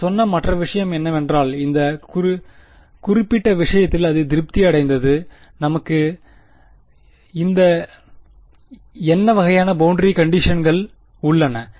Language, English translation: Tamil, The other thing that we said is that it satisfied in this particular case, what kind of boundary conditions that we have